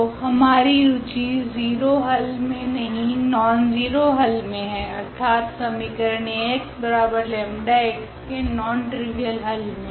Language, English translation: Hindi, So, we are not interested in the 0 solution, our interested in nonzero solution; meaning the non trivial solution of this equation Ax is equal to lambda x